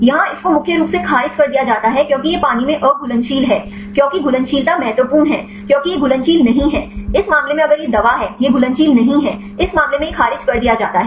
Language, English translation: Hindi, Here one is rejected mainly because it is insolvable in water because solvability is important because it is not soluble; in this case if it is drug; it is not soluble; in this case it rejected